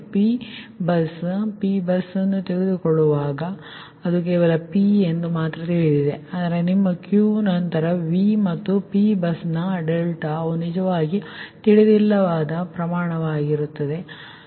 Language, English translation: Kannada, and p bus: when you take the p bus, that is, only p is known, right, but your q, then v and delta of the p bus, they are actually unknown quantities, right